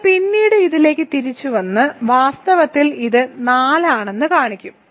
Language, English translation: Malayalam, We will comeback to this later and show that in fact it is 4